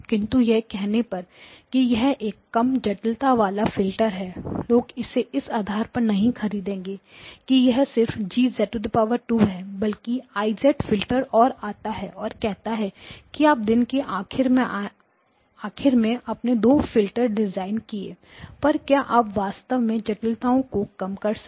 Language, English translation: Hindi, But this notion of saying that I have got a lower complexity filter people may not buy it and the reason is it is not just G of z squared there is one I of z also coming and say you come on at the end of the day you design two filters and; did you really reduce the complexity